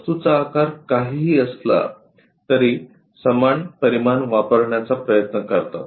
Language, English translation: Marathi, Whatever the object size the same dimensions try to use it